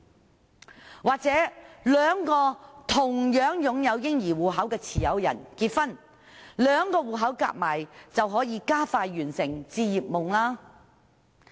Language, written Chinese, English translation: Cantonese, 又或者兩名"嬰兒基金"戶口持有人結婚，兩個戶口加起來便可以加快實現置業夢想。, Should two baby fund account holders get married the two accounts combined may make it faster for their dream of home ownership to realize